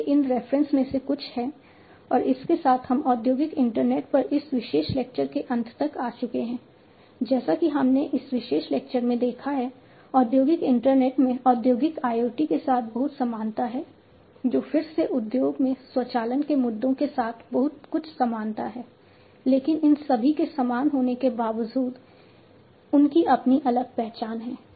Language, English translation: Hindi, So, these are some of these references, and with this we come to an end, of this particular lecture on industrial internet, as we have seen in this particular lecture industrial internet has lot of similarity with the industrial IoT, which again has also a lot of similarity with automation issues in the industry, but all of these even though are similar they have their own distinct identity and the origin is also distinct and that is how these have also become very popular on their own standing